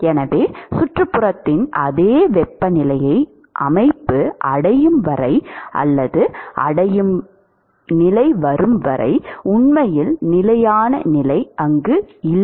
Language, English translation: Tamil, So, there is really no steady state till the system has or reaches the same temperature as that of the surroundings